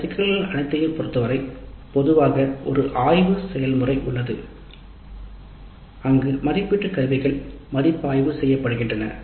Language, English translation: Tamil, With respect to all these issues usually a scrutiny process exists where the assessment instruments are reviewed